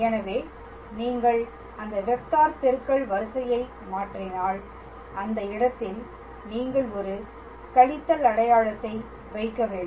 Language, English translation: Tamil, So, if you change the order of that cross product then in that case you have to put a minus sign